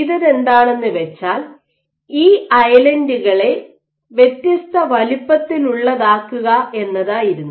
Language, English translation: Malayalam, So, what was done was to make these islands of different sizes